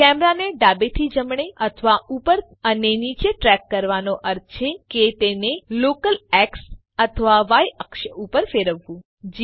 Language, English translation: Gujarati, Tracking the camera view left to right or up and down involves moving it along the local X or Y axes